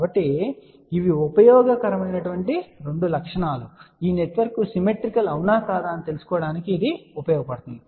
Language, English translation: Telugu, So, these are the two properties which are useful and even this one is useful to know whether the network is symmetrical or not